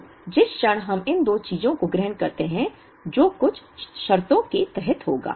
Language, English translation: Hindi, So, the moment we assume these two thing; which will happen under certain conditions